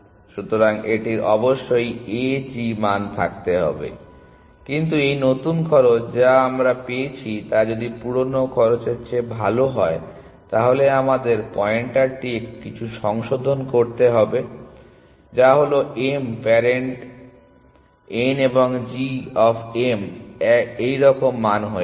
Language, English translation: Bengali, So, it is must be having a g value, but if this new cost that we have found is better than the old cost, then we have to do some readjusting of pointer which is that parent of m becomes n and g of m becomes this value